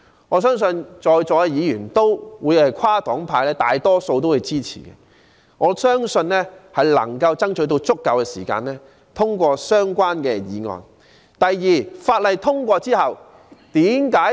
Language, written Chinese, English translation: Cantonese, 我相信在座大多數跨黨派議員也會支持，並能爭取足夠時間通過相關法案。, I believe most of the Members present regardless of their political affiliations will express support and manage to find time to pass the bill